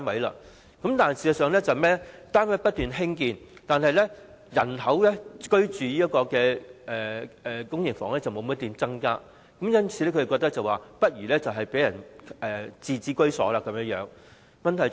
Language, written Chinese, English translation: Cantonese, 然而，事實上單位不斷興建，但在公營房屋居住的人口卻沒有增加，政府因而覺得不如讓市民擁有自置居所更好。, Flats are actually being built but the population of PRH residents has not increased . Hence the Government considers it more desirable to let people own their homes